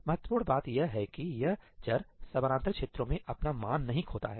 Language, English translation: Hindi, The important point is that this variable does not lose its value across parallel regions